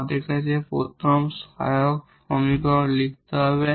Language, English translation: Bengali, So, how to get this auxiliary equation